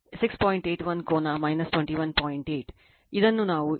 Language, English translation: Kannada, 8, this we have got here 21